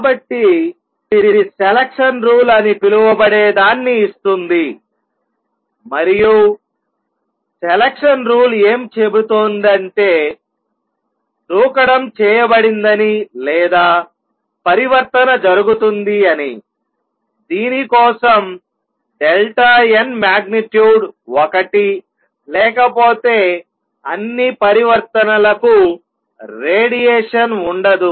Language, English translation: Telugu, So, this gives what is called a selection rule and that says selection rule says that the jump is made or the transition takes place for which delta n magnitude is one; otherwise for all of the transition there will be no radiation